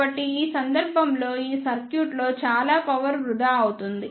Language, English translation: Telugu, So, in this case the lot of power will be wasted in this circuit